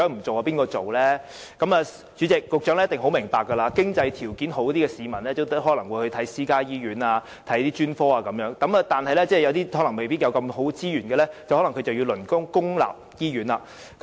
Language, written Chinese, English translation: Cantonese, 主席，局長一定會明白，經濟條件好的市民可能會光顧私家醫院和專科，但對於沒有充裕資源的市民，他們可能便要輪候公立醫院服務。, Chairman the Secretary will surely understand that people with sufficient means may use the specialist services of private hospitals . But those who are not so well - off may need to wait for public hospital services